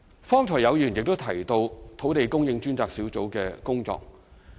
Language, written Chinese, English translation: Cantonese, 剛才亦有議員提到土地供應專責小組的工作。, Some Members mentioned the work of the Task Force on Land Supply just now